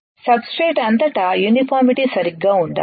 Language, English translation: Telugu, The uniformity across the substrate should be right